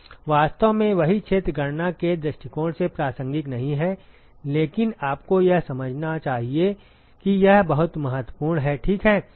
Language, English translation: Hindi, In fact, the same area is not relevant from the calculation point of view, but you must understand that that is very important ok